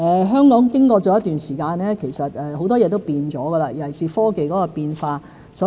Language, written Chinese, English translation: Cantonese, 香港經過了一段時間，其實很多事也改變了，尤其是科技變化。, As time goes by things change in Hong Kong . Changes are particularly prominent in the technological arena